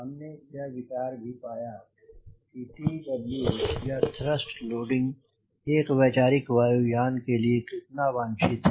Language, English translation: Hindi, they have also what the idea about what is the t by w or thrust loading required for the conceptual aero plane